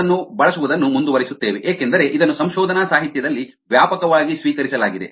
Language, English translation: Kannada, we will continue using that because its widely accepted that the literature